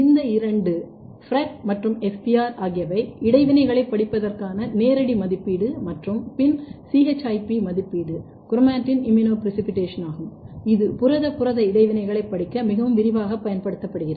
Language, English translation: Tamil, These two are the more kind of physical assay to study the interaction FRET and SPR and then ChIP assay chromatin immunoprecipitation which is being very extensively used to study the protein protein interaction